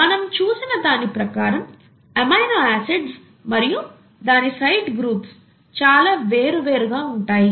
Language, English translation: Telugu, We all saw that the amino acid, the side groups of the amino acids could be so different